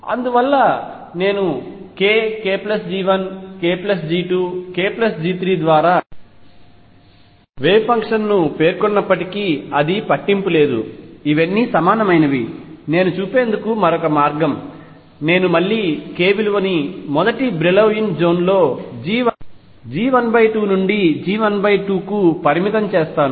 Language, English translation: Telugu, And therefore, it does not really matter whether I specify the wave function by k k plus G 1 k plus G 2 k plus G 3 it is another way of seeing that all these are equivalent if they are all equivalent again I will restrict myself to k being between minus G 1 by 2 to G 1 by 2 in the first Brillouin zone